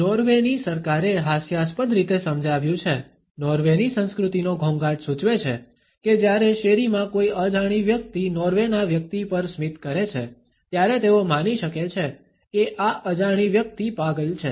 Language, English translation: Gujarati, The Norwegian government has humorously explained, nuances of Norwegian culture by indicating that when is stranger on the street smiles at Norwegians, they may assume that this stranger is insane